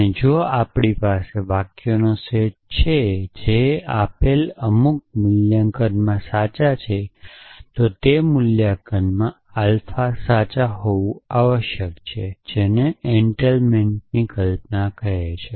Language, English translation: Gujarati, And if we have a set of sentences which are true in some given valuation then alpha must be true in that valuations essentially that is the notion of entailment